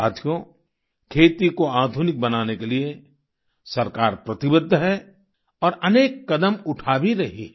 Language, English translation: Hindi, Friends, the government is committed to modernizing agriculture and is also taking many steps in that direction